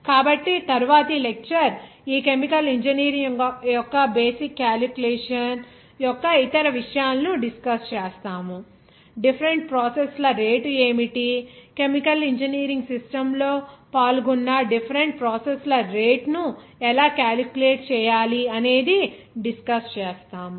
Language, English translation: Telugu, So, next lecture, we will discuss other things of that basic calculation of this chemical engineering, like what are the rate of different processes, how to calculate the rate of different processes, which are involved in the chemical engineering system